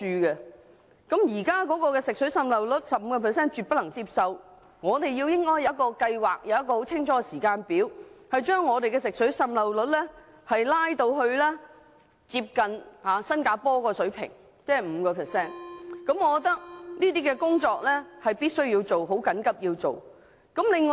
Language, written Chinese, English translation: Cantonese, 百分之十五的水管滲漏率是絕對不可接受的，我們應有清晰的計劃及時間表，把水管滲漏率降至接近新加坡的 5% 水平，這項工作必須緊急做好。, A leakage rate of 15 % is absolutely unacceptable . We should devise a clear plan with timetable for reducing the leakage rate to a level comparable to what Singapore has achieved that is 5 % and there is an urgent need for us to achieve the objective